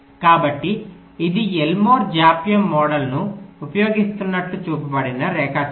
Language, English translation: Telugu, so this is just a diagram which is shown that using elmore delay model